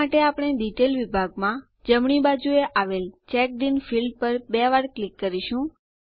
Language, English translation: Gujarati, For this, we will double click on the CheckedIn field on the right in the Detail section